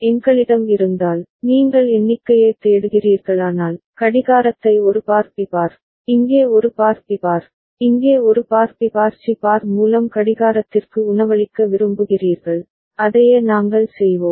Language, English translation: Tamil, And if we have, if you are looking for down count, then you want to feed the clock through A bar B bar, A bar B bar here, A bar B bar C bar over here right, so that is what we will do